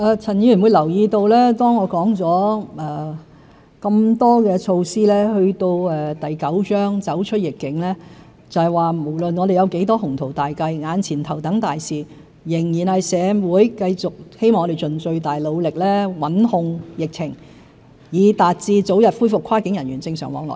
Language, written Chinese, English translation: Cantonese, 陳議員會留意到，當我說了這麼多措施，到第九章"走出疫境"，就是說無論我們有多少雄圖大計，眼前頭等大事仍然是令社會繼續如我們希望，盡最大努力穩控疫情，以達致早日恢復跨境人員正常往來。, Mr CHAN should have noticed that while I have put forward so many initiatives in Chapter IX Emerging from the Epidemic it is stated that while we have ambitious plans to deliver our top priority right now remains clear ie . we have to do our best to control the epidemic for the community as we are expected of so that normal cross‑boundary flow of people can be resumed as early as possible